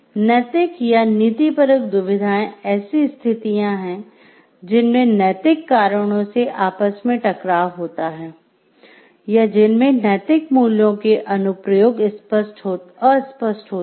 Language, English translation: Hindi, Ethical or moral dilemmas are situations in which moral reasons come into conflict, or in which the applications of moral values are unclear and, it is not immediately obvious what should be done